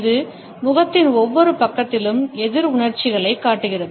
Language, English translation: Tamil, It shows opposite emotions on each side of the face